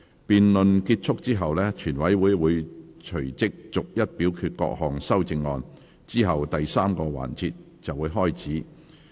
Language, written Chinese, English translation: Cantonese, 辯論結束後，全委會會隨即逐一表決各項修正案，之後第三個環節便開始。, Upon completion of the debate the Committee will immediately vote on the amendments one by one and then the third session will begin